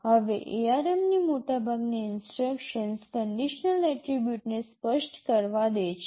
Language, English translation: Gujarati, Now most instruction in ARM allows a condition attribute to be specified